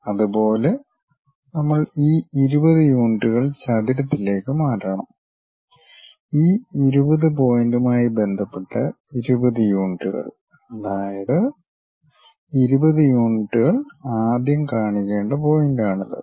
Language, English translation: Malayalam, Similarly, we have to transfer this 20 units on the rectangle, with respect to this point 20 units; that means, this is the point with respect to that 20 units first locate it